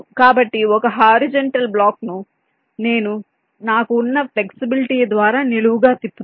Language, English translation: Telugu, so a horizontal block, i make it vertically by rotating, that flexibility i have